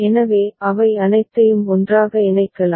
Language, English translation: Tamil, So, all of them can be put together